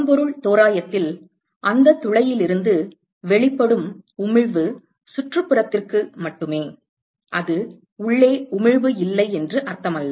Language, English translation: Tamil, In a blackbody approximation the emission from that hole is only to the surroundings, it does not mean that there is no emission inside